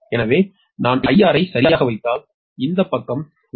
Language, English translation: Tamil, so if i put magnitude i r right and this side actually ah, your j, i x